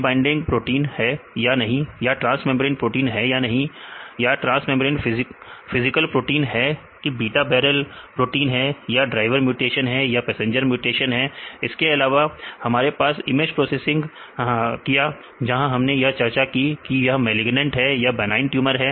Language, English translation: Hindi, Right DNA binding or not or the transmembrane proteins or not right, transmembrane helical proteins or beta barrel proteins or, driver mutation or passenger mutations, also we have image processing we will discussed whether this can be a malignant or it is a benign right